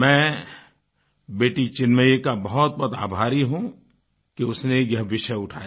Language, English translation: Hindi, I am extremely thankful to young Chinmayee for touching upon this subject